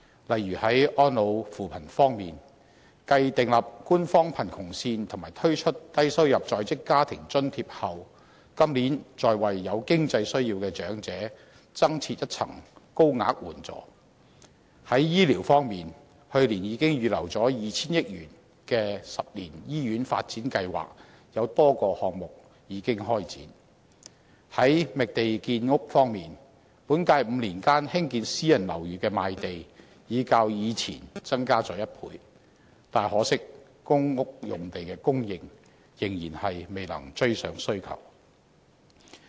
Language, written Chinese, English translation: Cantonese, 例如，在安老扶貧方面，繼訂立官方貧窮線及推出低收入在職家庭津貼後，今年再為有經濟需要的長者增設一層高額援助；在醫療方面，去年預留 2,000 億元的10年醫院發展計劃，已開展多個項目；在覓地建屋方面，本屆5年間興建私人樓宇的賣地已較過往增加了1倍，但可惜公屋用地的供應仍然未能追上需求。, For instance with regard to elderly care and poverty alleviation it proposes adding a higher tier of assistance for elderlies with more financial needs following the formulation of the official poverty line and the launch of the Low - income Working Family Allowance Scheme . On health care the 10 - year Hospital Development Plan which was earmarked with a provision of HK200 billion last year has already had several of its projects started . In the identification of land for housing production land sale for private housing development has doubled within the five - year period in the current term of Government while the supply of land for public rental housing development has yet to meet the demand regrettably